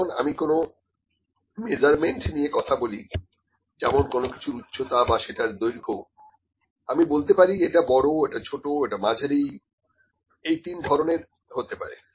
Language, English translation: Bengali, When I discuss about the height of some measurement some measurement height of that or some length, I can say this is long, this is small, this is medium; three categories, ok